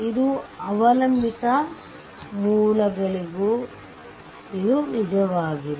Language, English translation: Kannada, Now, it is true also for dependent sources